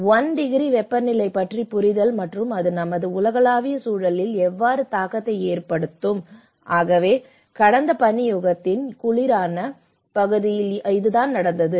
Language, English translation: Tamil, So, this is just an understanding of 1 degree temperature and how it will have an impact on our global environment, so that is what in the coldest part of the last ice age, earth's average temperature was 4